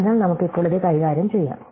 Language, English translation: Malayalam, So, let us deal with it now